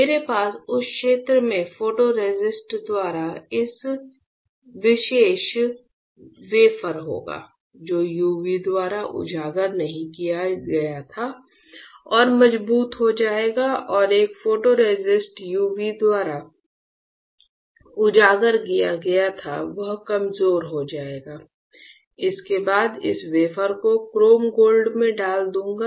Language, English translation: Hindi, I will have this particular wafer by the photoresist in the area which was not exposed by UV will get stronger and a photoresist whether where it was exposed by UV will get weaker followed by I will put this dot dip this wafer in a chrome gold etchant